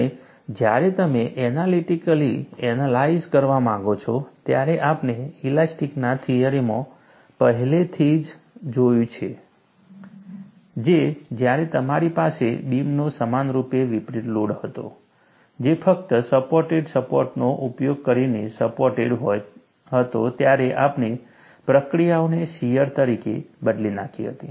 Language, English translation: Gujarati, You are actually applying a shear, and when you want to analytically analyze, we have already seen, in theory of elasticity, when you had that uniformly distributed load of a beam, supported using simply supported supports, we had replaced the reactions as a shear; a same analogy is done here